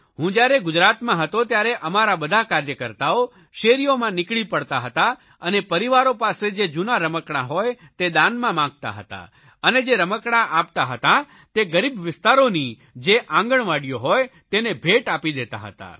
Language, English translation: Gujarati, When I was in Gujarat, all our workers used to walk the streets seeking donations of old toys from families and then presented these toys to Anganwadis in poor neighbourhoods